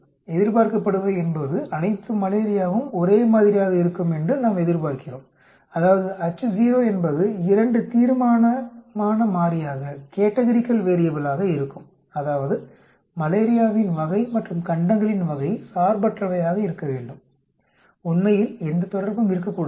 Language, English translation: Tamil, The expected, we expect all the malaria either to be same, that means the H naught will be the 2 categorical variable that is type of malaria versus the type of continents should be independent, there should not be any relationship on that actually